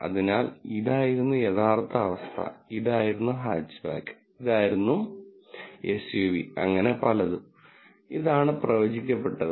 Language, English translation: Malayalam, So, this was the true condition, this was Hatchback, this was the true condition, this was SUV and so on and this is the predicted